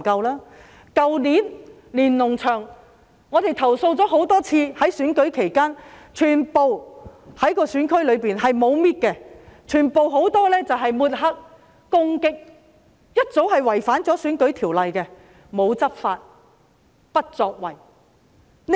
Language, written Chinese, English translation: Cantonese, 去年，我們多次投訴，在選舉期間，選區內沒有清除連儂牆，牆上有很多抹黑和攻擊的海報，違反《選舉條例》，但政府沒有執法，不作為。, Last year despite our repeated complaints the Government did not clear the Lennon Walls in the election districts during the District Council Election . There were many posters on the walls to smear and attack candidates which had already violated the Elections Ordinance . However the Government did not enforce the law or take any actions